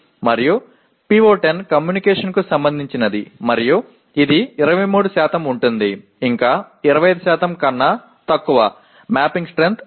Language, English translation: Telugu, And the PO10 which is related to communication and it constitutes 23% which is still less than 25%, the mapping strength is 1